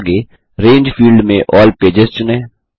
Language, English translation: Hindi, * Next, in the Range field, select All Pages